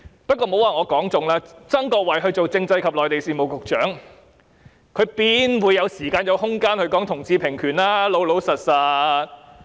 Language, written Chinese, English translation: Cantonese, 但是，曾國衞擔任政制及內地事務局局長，怎會有時間和空間談同志平權呢？, That said as the Secretary for Constitutional and Mainland Affairs how can Erick TSANG have any time and room to talk about equal rights for people of different sexual orientations?